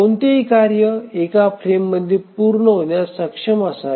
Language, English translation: Marathi, So, any job should be able to run to completion in one of the frames